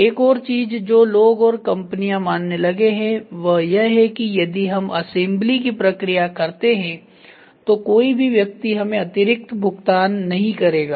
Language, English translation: Hindi, And the other things people have companies have also started realising that assembly process if I do nobody is going to pay me extra